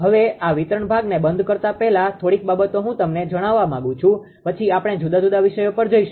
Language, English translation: Gujarati, Now before this this closing this distributional part few things I would like to I would like to tell you then we will move to the different topic